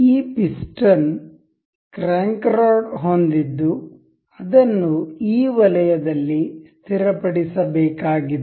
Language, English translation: Kannada, Because this piston has the crank rod has to be fixed in this zone